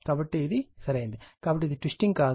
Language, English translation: Telugu, So, this is correct, therefore this is not twisting